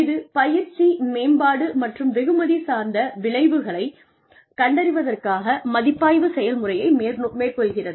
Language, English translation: Tamil, It uses the review process to identify training, development, and reward outcomes